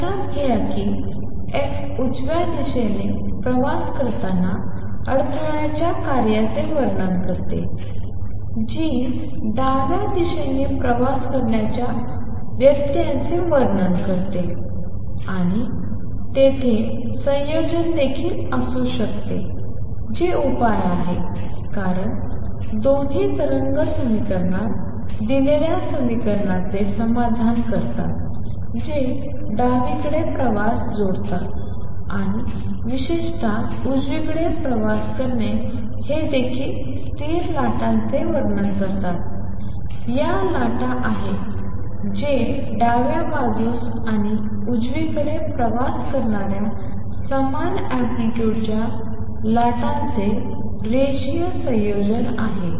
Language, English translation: Marathi, Notice that f describes the function in disturbance travelling to the right, g describes a disturbance travelling to the left and there combination could also be there which is the solution, because both satisfy the equation given in the wave equation which combines travelling to the left or to travelling to the right in particular it also describes what would I will call stationary waves; these are waves which are linear combination of equal amplitude waves travelling to the left and traveling to the right